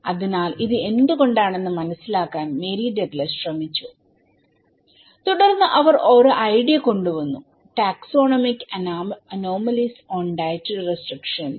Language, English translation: Malayalam, So, Mary Douglas was trying to understand why this is so and then she came up with the idea, taxonomic anomalies on dietary restrictions